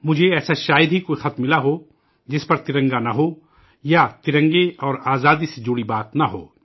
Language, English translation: Urdu, I have hardly come across any letter which does not carry the tricolor, or does not talk about the tricolor and Freedom